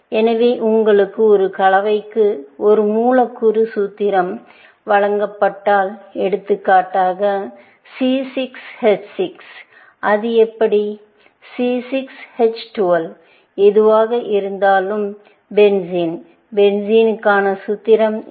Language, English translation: Tamil, So, you know that if you are given a molecular formula for a compound, for example, C6 H6; how was it C6 H12; whatever, benzene; what is the formula for benzene